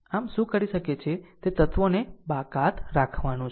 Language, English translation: Gujarati, So, so, what you can do is exclude these elements